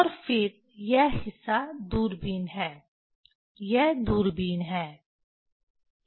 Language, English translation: Hindi, And then this part is telescope, this is the telescope